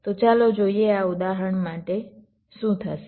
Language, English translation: Gujarati, so let see for this example what will happen for this case